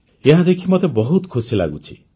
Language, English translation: Odia, I am also very happy to see this